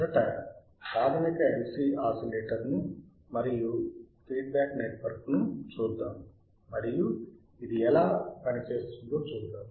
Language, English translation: Telugu, First let us see the basic LC oscillator and the feedback network and let us see how it works